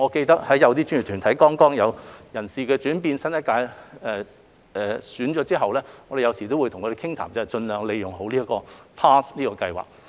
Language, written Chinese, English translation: Cantonese, 當一些專業團體有人事轉變時，當我們與新一屆交談時都會鼓勵他們盡量利用 PASS 這個計劃。, In case of changes in personnel of a professional body we will encourage the personnel of the new term to make use of PASS as far as possible when having conversation with them